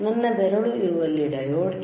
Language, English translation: Kannada, Where my finger is there diode is there